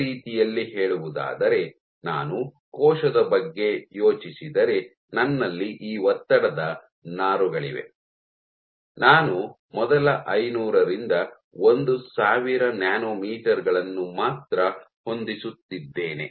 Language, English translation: Kannada, In other words, if I think of the cell, I have these stress fibres I am only fitting the first 500 to 1000 nanometers